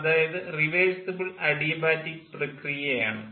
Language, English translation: Malayalam, so this is an adiabatic, reversible adiabatic process